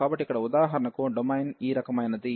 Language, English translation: Telugu, So, here for example have a domain is of this kind